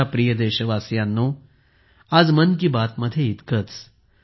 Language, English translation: Marathi, My dear countrymen, that's all for today in 'Mann Ki Baat'